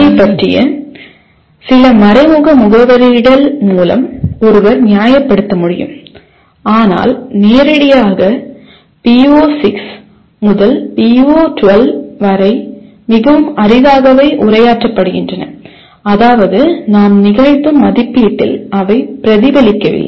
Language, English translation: Tamil, One can justify some indirect addressing of this but directly PO6 to PO12 are very rarely addressed in the sense they do not get reflected in the assessment that we perform